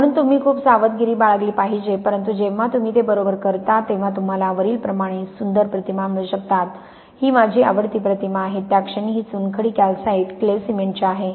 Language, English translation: Marathi, So, you got to be very careful but when you do it right you can get lovely images like this, this is my favourite image at the minute this is from limestone calcite clay cement